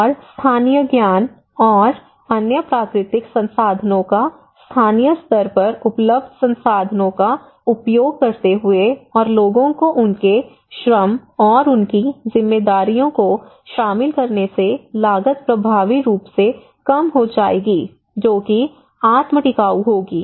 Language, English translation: Hindi, And cost effective, using local knowledge and other natural resources locally available resources and involving people their labour their roles and responsibilities would effectively reduce the cost that would be self sustainable